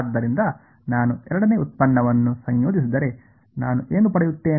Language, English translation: Kannada, So, if I integrate the second derivative what do I get